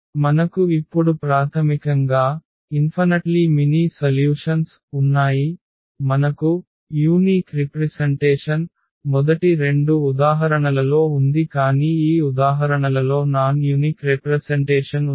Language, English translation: Telugu, We have basically infinitely many solutions now so, this is a non unique representation in the first two examples we have a unique representation